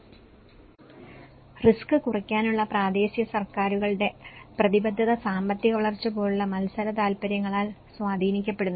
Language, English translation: Malayalam, And commitment of the local governments to risk reduction is impacted by competing interests such as economic growth